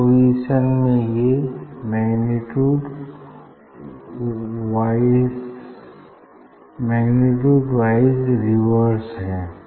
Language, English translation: Hindi, for this position it just magnitude wise it is a reverse